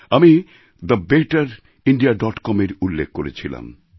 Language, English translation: Bengali, I just referred to the betterindia